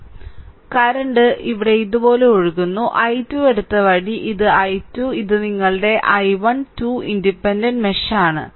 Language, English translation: Malayalam, So, this is open so, current is flowing like this here the way I have taken i 2, this is i 2 and this is your i 1 2 independent mesh